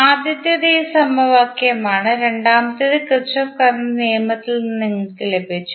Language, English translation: Malayalam, So, now have got another equation first is this equation, second you have got from the Kirchhoff Current Law